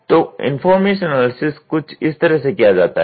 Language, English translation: Hindi, So, the information analysis is something like that